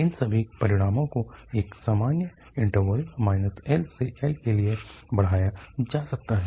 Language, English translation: Hindi, All these results can be extended for a general interval minus L to L